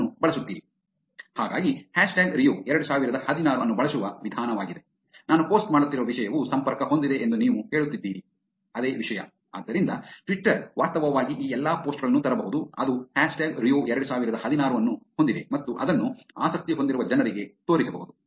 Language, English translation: Kannada, So that is the way of using hashtag Rio 2016, you are saying that the content that I am posting is connected to this topic, so Twitter can actually bring in all these posts which has hashtag Rio 2016 and show it to people who are interested in it